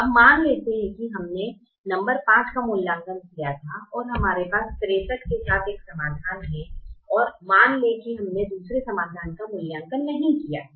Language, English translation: Hindi, now let's assume that we had evaluated number five and we have a solution with sixty three, and let's assume that we have not evaluated the second solution